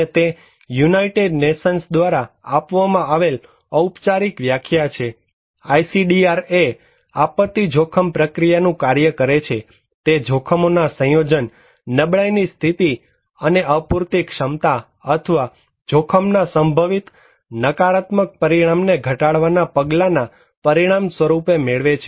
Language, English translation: Gujarati, And it is a formal definition given by United Nations, ISDR as disaster is a function of the risk process, it results from the combination of hazards, condition of vulnerability and insufficient capacity or measures to reduce the potential negative consequence of risk